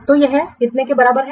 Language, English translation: Hindi, So that is this is coming to be how much